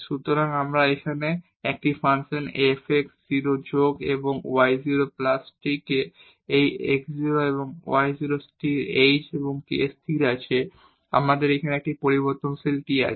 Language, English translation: Bengali, So, this function here f x 0 plus th and y 0 plus tk having this x 0 and y 0 fixed h and k fixed we have a variable t here